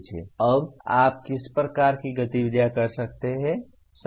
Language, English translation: Hindi, Now what are type of activities you can do